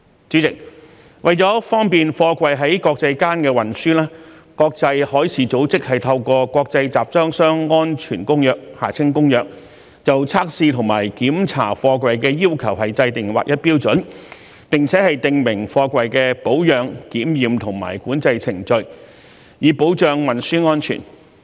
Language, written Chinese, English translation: Cantonese, 主席，為了方便貨櫃在國際間運輸，國際海事組織透過《國際集裝箱安全公約》就測試和檢查貨櫃的要求制訂劃一標準，並且訂明貨櫃的保養、檢驗和管制程序，以保障運輸安全。, President to facilitate the international transport of containers the International Convention for Safe Containers was promulgated by the International Maritime Organization IMO to standardize the requirements for testing and inspecting containers as well as to prescribe the procedures of their maintenance examination and control for safe transportation